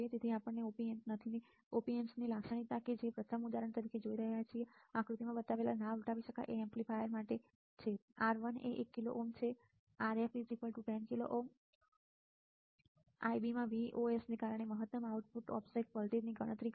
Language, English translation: Gujarati, So, Op Amp characteristic we are looking at as an example first is for the non inverting amplifier shown in figure this one, R1 is 1 kilo ohm Rf equals to 10 kilo ohm calculate the maximum output offset voltage due to Vos in Ib